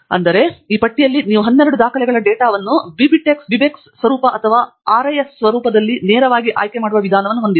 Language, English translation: Kannada, So, unfortunately here, in this list, you don’t have a methodology by which you can select the data of these 12 records as BibTeX format or RIS format directly